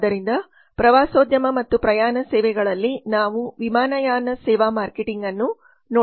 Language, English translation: Kannada, so we now come to tourism and travel services so in tourism and travel services we are going to look at the airline service marketing